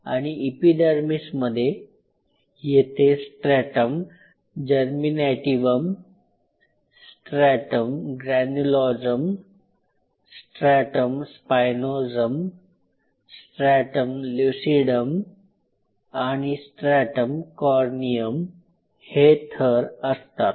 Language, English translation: Marathi, And within an epidermis the layers are this is stratum Germinativum stratum this one is Stratum Granulosum in between is Stratum Spinosum, Stratum Lucidum, and Stratum Corneum